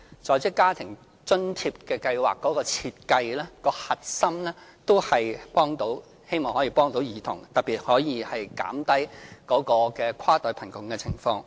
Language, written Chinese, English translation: Cantonese, 在職家庭津貼計劃的設計核心，也是希望幫助兒童，特別是希望減低跨代貧窮的情況。, The Working Family Allowance Scheme is designed mainly to provide assistance for children with a view to alleviating intergenerational poverty in particular